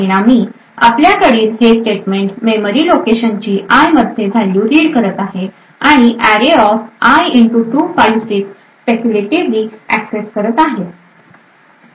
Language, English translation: Marathi, As a result we would have this statement reading the value of this memory location into i and speculatively accessing array[i * 256]